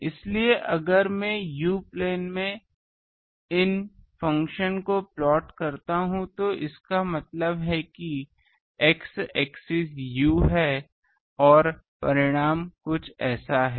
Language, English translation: Hindi, So, if I we plot these function in the u plane, that means x axis is u and this magnitude is this it becomes something like this